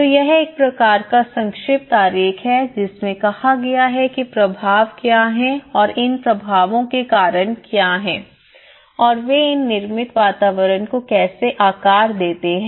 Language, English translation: Hindi, So this is a kind of brief diagram shows like saying that what are the impacts and what are the causes for these impacts and how they shape these built environments